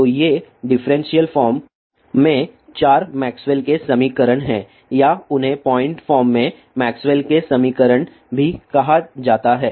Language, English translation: Hindi, So, these are the 4 Maxwell's equations in differential form or they are also called as Maxwell's equation in point form